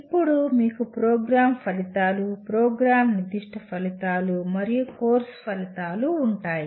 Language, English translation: Telugu, Then you have Program Outcomes, Program Specific Outcomes and Course Outcomes